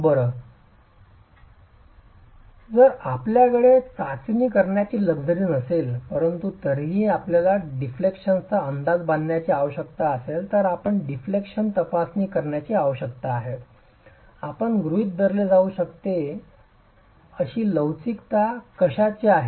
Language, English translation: Marathi, So, well, if you do not have the luxury of doing a test, but you still need to make an estimate of the deflections, you need to do a deflection check, what is the model of elasticity that you can assume